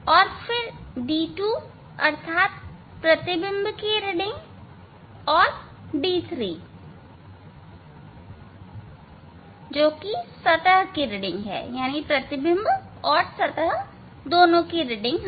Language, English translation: Hindi, And, then reading for d 2 means for image and then reading for d 3 that is for surface